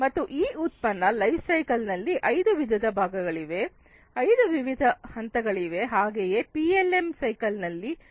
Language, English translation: Kannada, And there are five different parts, five different phases in this product lifecycle so in the lifecycle of PLM